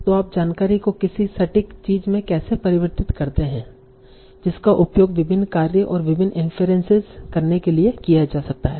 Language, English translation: Hindi, So how do you make, how do you convert the information to something precise that can be used for doing various tasks and various influences